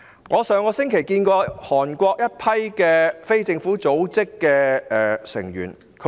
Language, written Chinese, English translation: Cantonese, 我在上星期接見了一群韓國非政府組織的成員。, Last week I received a group of members of a non - governmental organization in Korea